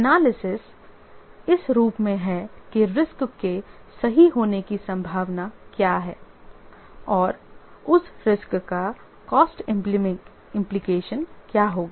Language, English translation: Hindi, The analysis is in the form of what is the probability of the risk becoming true and what will be the cost implication of that risk